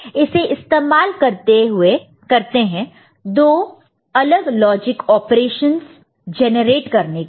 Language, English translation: Hindi, And this is used for generating 2 different logic operations ok